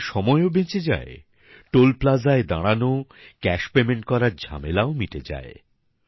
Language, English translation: Bengali, This saves not just travel time ; problems like stopping at Toll Plaza, worrying about cash payment are also over